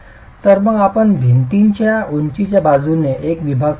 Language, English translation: Marathi, So, let's examine one of the sections along the height of the wall itself